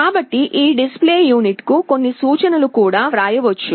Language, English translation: Telugu, So, some instructions can also be written to this display unit